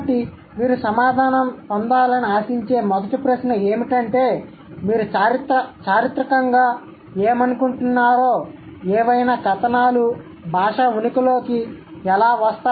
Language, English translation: Telugu, So, the first question that you might expect to get an answer is that what do you think, historically, how do articles come into existence in any given language